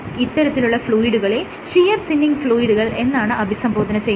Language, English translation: Malayalam, So, this kind of fluid is called a shear thinning fluid